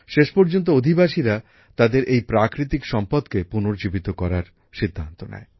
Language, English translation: Bengali, Eventually, people decided to revive this natural heritage of theirs